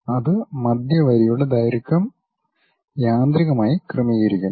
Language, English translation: Malayalam, It automatically adjusts that center line length